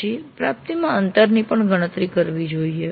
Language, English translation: Gujarati, Then the gap in the attainment should also be computed